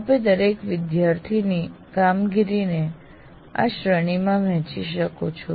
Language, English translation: Gujarati, That is, each one, student performance you can divide it into these categories